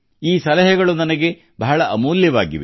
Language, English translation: Kannada, These suggestions are very valuable for me